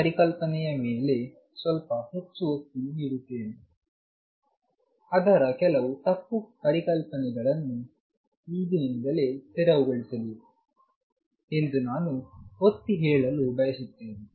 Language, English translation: Kannada, Just dwelling on this concept little more I want to emphasize that their some misconceptions that should be cleared right away